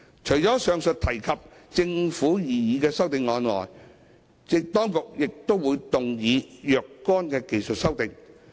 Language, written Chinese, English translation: Cantonese, 除了以上提及的政府擬議修正案外，當局亦會動議若干技術修訂。, Apart from the CSAs proposed by the Government mentioned above the authorities will also move some technical amendments